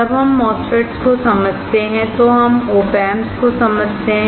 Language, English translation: Hindi, When we understand MOSFETS, we understand OP amps